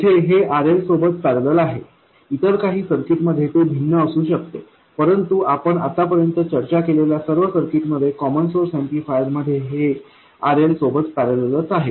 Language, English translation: Marathi, Here it appears in parallel with RL, in some other circuits it may be different but in all the circuits we have discussed so far in the common source amplifier it appears in parallel with RL